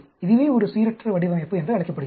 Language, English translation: Tamil, This is called a randomized design